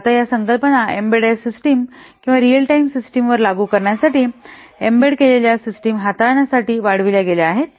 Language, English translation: Marathi, So now these concepts have been extended to handle embedded systems to apply on embedded systems or real time systems